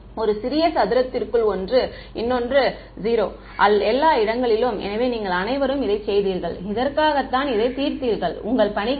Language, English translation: Tamil, One inside a little square, 0 everywhere else out right; so, you all done this and solved for this your, in your assignments